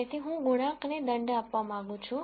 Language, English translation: Gujarati, So, I want to penalize these coefficients